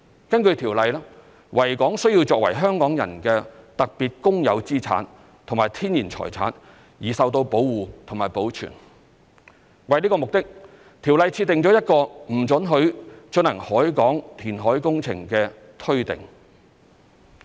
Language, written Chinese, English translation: Cantonese, 根據《條例》，維港須作為香港人的特別公有資產和天然財產而受到保護和保存。為此目的，《條例》設定一個不准許進行海港填海工程的推定。, Pursuant to the Ordinance the Victoria Harbour is to be protected and preserved as a special public asset and a natural heritage of Hong Kong people and for that purpose there shall be a presumption against reclamation in the harbour